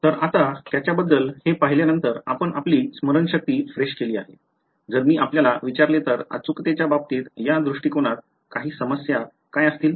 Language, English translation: Marathi, So, now having seen this now that you have refresh your memory about it, if I ask you what would be some of the problems with this approach in terms of accuracy